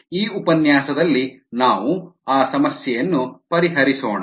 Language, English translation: Kannada, in this lecture let us go a head and solve that problem